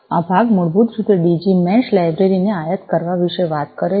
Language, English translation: Gujarati, this part basically talks about importing the Digi Mesh library